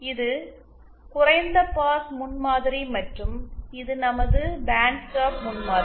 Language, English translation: Tamil, This was a low pass prototype and this is our bandstop prototype